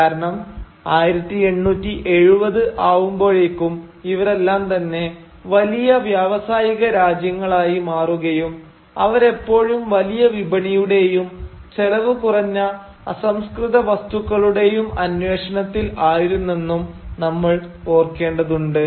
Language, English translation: Malayalam, Because we will have to remember that all of them by 1870’s were major industrial nations and they were therefore always in search for larger markets and cheaper raw material